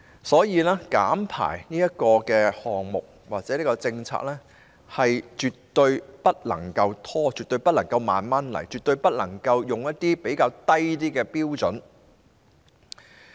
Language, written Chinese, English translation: Cantonese, 所以，減排項目或政策絕對不能拖延，絕對不能慢慢進行，絕對不能採用較低標準。, Therefore projects or policies on emissions reduction should definitely not be delayed implemented slowly or subjected to a lower standard